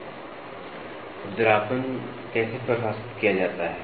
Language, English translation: Hindi, Roughness, how is roughness defined